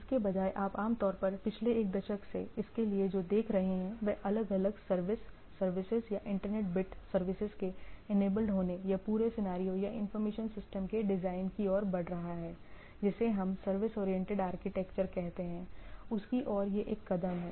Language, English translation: Hindi, Rather what you what we see for this typically for last one decade or so, with the different service, services or internet bit services being enabled or whole scenario or information system design is moving towards is a moves towards a what we say service oriented architecture, this network became a major thing to be considered